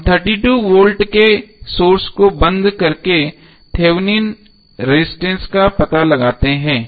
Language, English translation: Hindi, We find the Thevenin resistance by turning off the 32 volt source